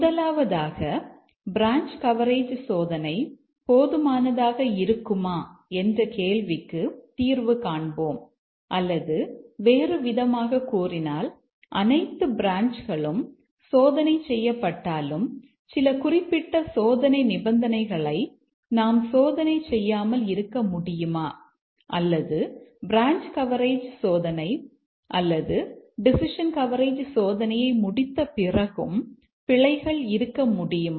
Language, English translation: Tamil, First let us address the question that each is the branch coverage testing good enough or to tell that in other words if all have been tested, can we miss some specific test conditions or can bugs remain even after we have completed branch coverage testing or decision coverage testing